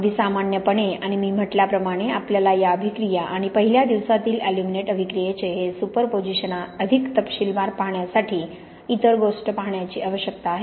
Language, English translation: Marathi, Very generally and as I said, you need to look at other things to see the more details we have this superposition of this alite reaction and the aluminate reaction in the first day